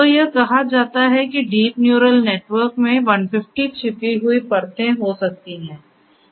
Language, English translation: Hindi, So, it is said that the deep neural network can have up to 150 hidden layers